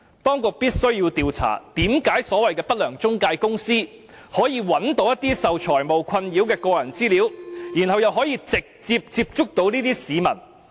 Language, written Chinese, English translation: Cantonese, 當局必須調查，為甚麼不良中介公司可以找到受財務困擾的市民的個人資料，然後又可以直接接觸這些市民。, The authorities must find out why unscrupulous intermediaries can find the personal data of members of the public beset by financial problems and then get in touch with them direct